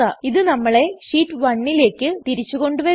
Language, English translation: Malayalam, This takes us back to Sheet 1